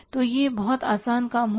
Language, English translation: Hindi, So, that will be very easy job